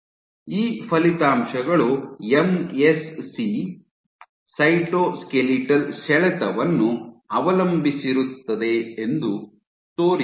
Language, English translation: Kannada, These results show that MSC fate depends on cytoskeletal tension